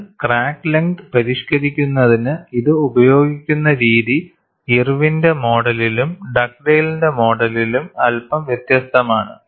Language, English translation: Malayalam, But the way how it is used in modifying in the crack length is slightly different in Irwin’s model and Dugdale’s model